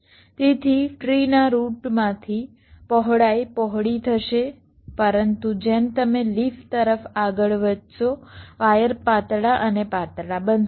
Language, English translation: Gujarati, ok, so from the root of the tree, the, the widths will be wider, but but as you moves towards the leaf, the wires will become thinner and thinner